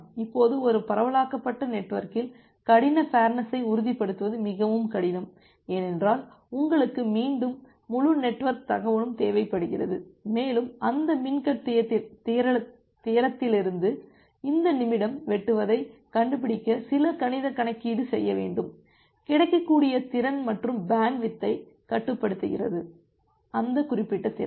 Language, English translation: Tamil, Now in a decentralized network, ensuring hard fairness is very difficult because you again you require the entire network information and want do some mathematical calculation to find out this min cut from that min cut theorem, what would be the available capacity and restrict the bandwidth to that particular capacity